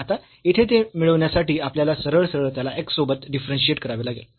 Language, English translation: Marathi, Now, here to get this when x is not equal to 0 we have to directly differentiate this with respect to x